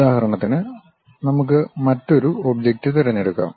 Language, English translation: Malayalam, For example, let us pick another object